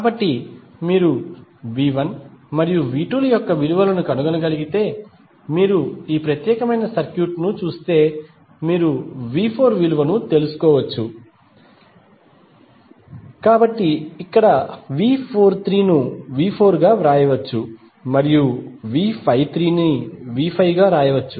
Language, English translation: Telugu, So, that means if you see this particular circuit if you are able to find the value of V 1 and V 2 you can simply find out the value of V 4, so here V 43 can be written as V 4 and V 53 can be written as V 5